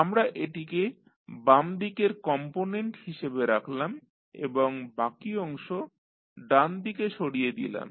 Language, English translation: Bengali, We have kept this as left component and rest we have shifted to right side